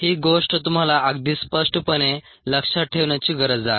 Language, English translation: Marathi, this is something that you need to remember very clearly